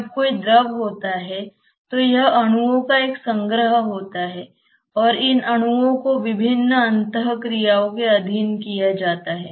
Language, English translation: Hindi, When there is a fluid it is a collection of molecules after all and these molecules are subjected to various interactions